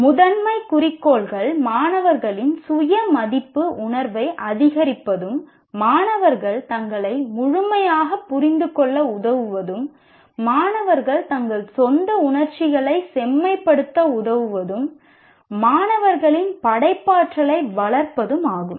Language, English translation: Tamil, The primary goals are to increase the students' sense of self worth and to help students understand themselves more fully, to help students refine their own emotions to foster students' creativity